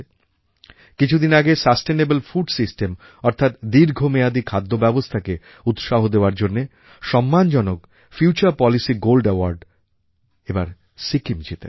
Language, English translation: Bengali, A few days ago Sikkim won the prestigious Future Policy Gold Award, 2018 for encouraging the sustainable food system